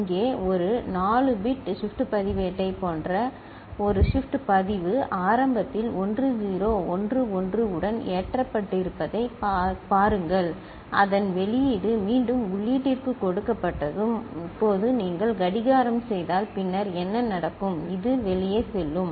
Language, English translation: Tamil, And a shift register, like a 4 bit shift register over here see it is loaded with 1 0 1 1, initially and after the output of it is fed back to the input of it the way you see here and if you now clock it, then what will happen this one will go out right